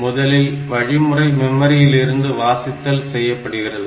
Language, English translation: Tamil, First, the instruction will be read from the memory